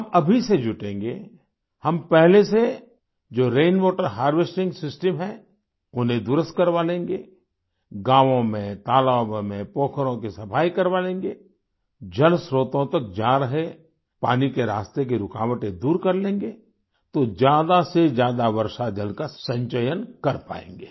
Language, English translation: Hindi, We shall commit ourselves to the task right now…we shall get existing rain water harvesting systems repaired, clean up lakes and ponds in villages, remove impediments in the way of water flowing into water sources; thus we shall be able to conserve rainwater to the maximum